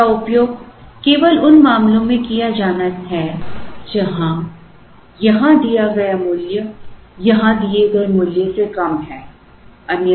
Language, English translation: Hindi, It has to be used only in the cases where, the value given here is less than the value given here